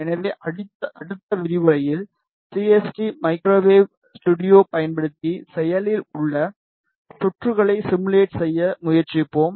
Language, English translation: Tamil, So, in the next lecture we will try to do the simulation of active circuits using CST microwave studio